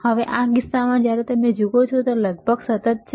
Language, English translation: Gujarati, Now in this case, when you see it is almost constant